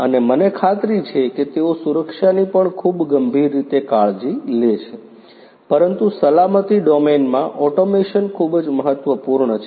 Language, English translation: Gujarati, And I am sure they are also taking care of safety in a very serious manner, but you know automation in the safety domain is very important